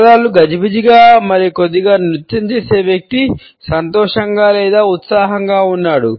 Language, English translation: Telugu, If the feet get jiggly and do a little dance the person is happy or excited or both